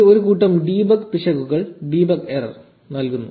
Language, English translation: Malayalam, So, it throws a bunch of debug errors